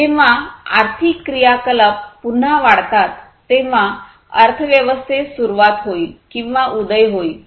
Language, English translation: Marathi, So, basically when the economic activities again increase, then there will be commencement of or the rise of the economy overall